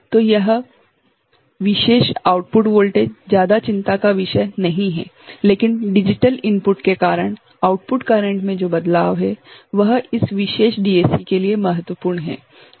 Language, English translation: Hindi, So, this is this particular output voltage is not of much concern, but the output current that is varying, because of the digital input ok, that is of importance for this particular DAC ok